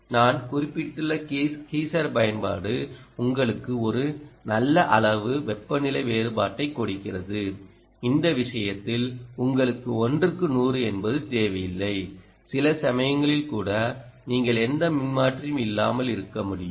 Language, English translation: Tamil, the geyser application i mentioned is giving you a good amount of temperature differential, in which case you will perhaps not need a one is to hundred, you will be able to get away, ah, even sometimes you may even be able to get away without any transformer